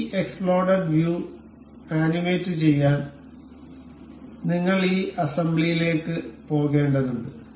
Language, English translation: Malayalam, To animate this explode view, we will have to go this assembly